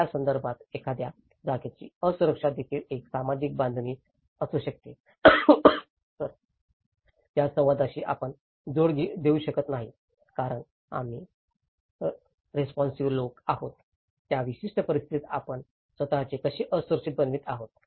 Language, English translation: Marathi, On the similar context, can we not link the dialogue of can the vulnerability of a place is also a social construct because we are the responsible people, how we are making ourself vulnerable in that particular situation